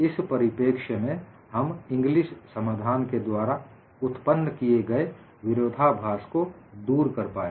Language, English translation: Hindi, And from this perspective, we were also able to dispel the paradox generated by Ingli solution